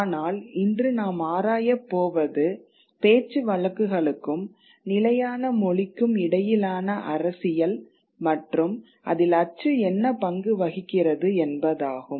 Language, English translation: Tamil, But what we are going to explore today is the politics between dialects and the standard language, all right, and what role print plays within it